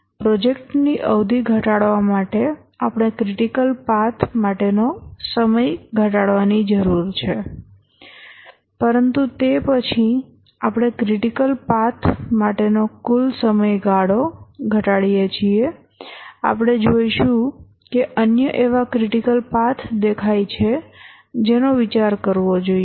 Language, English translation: Gujarati, To reduce the project duration we need to reduce the time for the critical path but then as we reduce the project duration, we need to reduce the time for the critical path